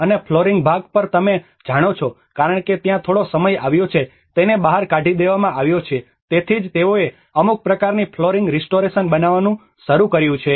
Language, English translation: Gujarati, And on the flooring part you know because there has been some times, it has been chipped out so that is where they start making some kind of flooring restoration has been done